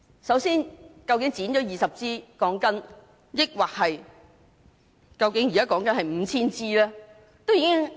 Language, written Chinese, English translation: Cantonese, 首先，究竟被剪的鋼筋是20枝還是 5,000 枝？, First of all how many steel bars had been cut short 20 or 5 000?